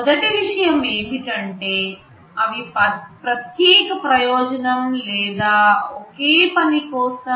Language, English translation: Telugu, First thing is that they are special purpose or single functional